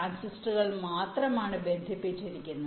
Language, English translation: Malayalam, but the transistors are not interconnected